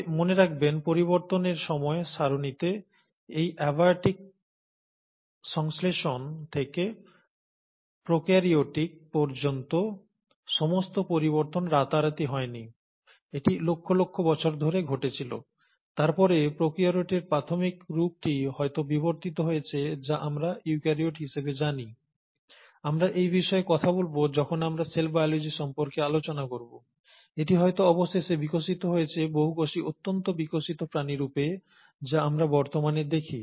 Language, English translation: Bengali, But mind you, this time scale of change from abiotic synthesis all the way to prokaryotes has not happened overnight, it has happened over millions of years, and then, the earliest form of prokaryotes would have evolved into what we know as eukaryotes, we’ll talk about this when we talk about the cell biology, and would have finally evolved into what we see today as multi cellular highly evolved organisms